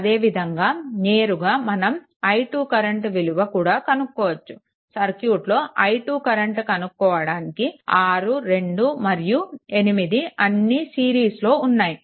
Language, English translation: Telugu, Similarly here directly you will get it what will be i 2; i 2 will be your basically if you add 6 2 and 8 all are in series